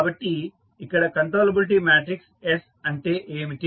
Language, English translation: Telugu, So, what is the controllability matrix S